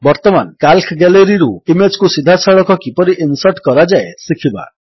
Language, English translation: Odia, Now we will learn how to insert images directly from the Calc Gallery